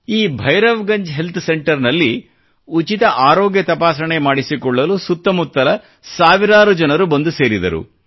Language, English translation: Kannada, At this Bhairavganj Health Centre, thousands of people from neighbouring villages converged for a free health check up